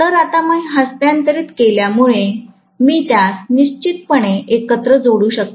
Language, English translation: Marathi, So, now that I have transferred, I can definitely connect it together